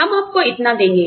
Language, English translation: Hindi, We will give you, this much